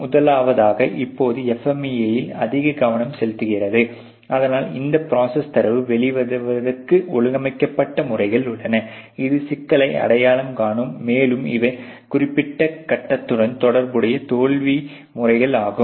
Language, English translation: Tamil, First of all as a focus more on the FMEA as of now, but there are organized method in which this process data will come out, which will identifies these are the problems, and these are the a potential failure modes associated with the particular stage of the process or the system that we are the concerned with